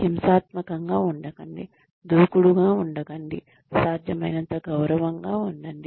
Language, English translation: Telugu, Do not get violent, do not get aggressive, be as respectful as possible